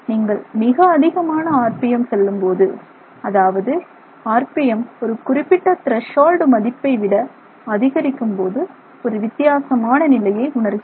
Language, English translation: Tamil, If you go to very high RPM, if if RPM is high, is above a value, it is above a certain threshold value, then we reach it very different situation